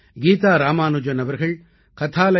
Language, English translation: Tamil, Geeta Ramanujan has focussed on stories at kathalaya